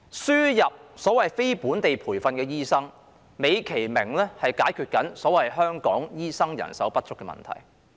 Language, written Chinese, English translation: Cantonese, 輸入所謂非本地培訓醫生，美其名是解決所謂香港醫生人手不足的問題。, The admission of the so - called non - locally trained doctors is nicely packaged as a solution to the so - called shortage of doctors in Hong Kong